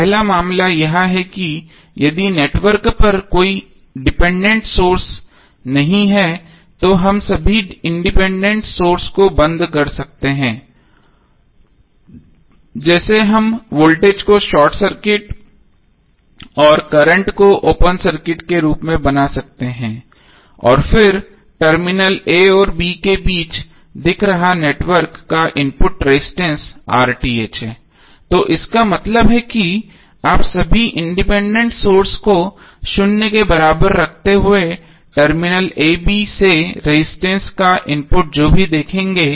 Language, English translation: Hindi, First case is that if the network has no dependent sources we can simply turn off all the independent sources like we can make the voltage as short circuit and current source as open circuit and then RTh is the input resistance of the network looking between terminal a and b